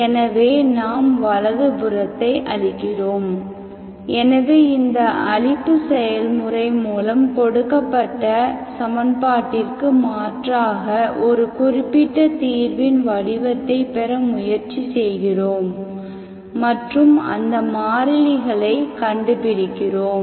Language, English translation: Tamil, So the annihilation process, we annihilate the right hand side, so with this annihilation process with try to get, we get the form of a particular solution that you substitute into the given equation and find those constants